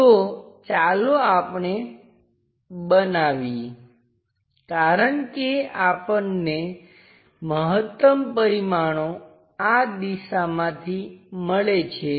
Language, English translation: Gujarati, So, let us construct because maximum dimensions what we are getting is from this direction